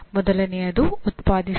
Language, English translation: Kannada, One is generate